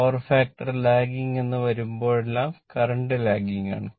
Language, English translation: Malayalam, Whenever is a lagging power factor means, the current is lagging right